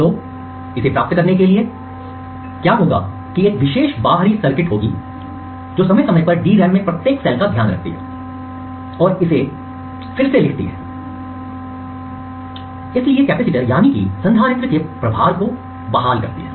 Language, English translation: Hindi, So, in order to achieve this what would happen is that there would be a special external circuitry, which periodically leads every cell in the DRAM and rewrites it therefore restoring the charge of the capacitor